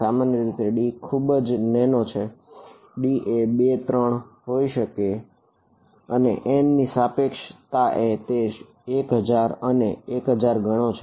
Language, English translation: Gujarati, Typically, d is very small, d is 2 3 whatever and compared to n which is much large 1000’s and 1000’s